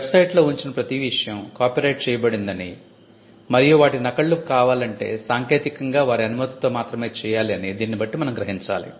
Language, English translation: Telugu, So, which means everything that was put on the website is copyrighted and reproduction should be done only technically with permission